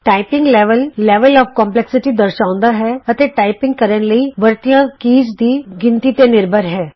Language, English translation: Punjabi, Level indicates the level of complexity, in terms of the number of keys used when typing